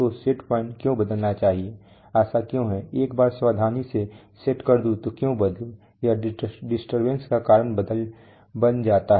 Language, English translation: Hindi, So why should the set point change, why is it, once I set it carefully why should it change, it changes because of disturbance